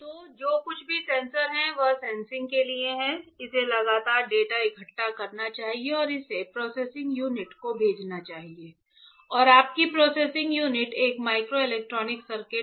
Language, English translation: Hindi, So, anything that is sensor is meant for sensing, it should constantly gather the data and send it to the processing unit and your processing unit is a microelectronic circuit